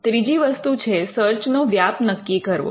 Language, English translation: Gujarati, The third thing is to describe the scope of the search